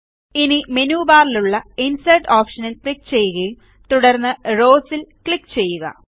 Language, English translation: Malayalam, Now click on the Insert option in the menu bar and then click on Rows